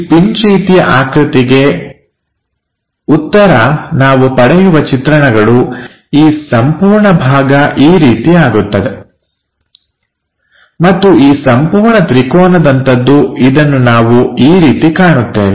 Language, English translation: Kannada, The answer for this pin kind of structure the views what we are going to get, this entire portion turns out to be this one, and this entire triangular one we will see it in that way